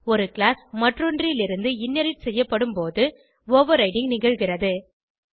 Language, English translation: Tamil, Overriding occurs when one class is inherited from another